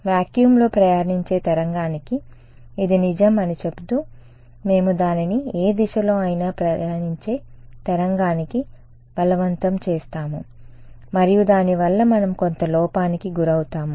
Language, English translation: Telugu, Saying that it should hold true for a wave traveling in vacuum, we will force it on wave traveling in any direction and we will suffer some error because of that